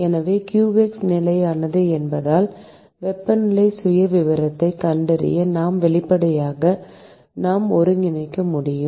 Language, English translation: Tamil, So, because qx is constant, we should be able to integrate this expression to find the temperature profile